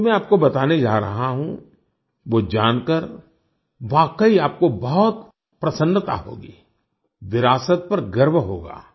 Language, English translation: Hindi, What I am going to tell you now will make you really happy…you will be proud of our heritage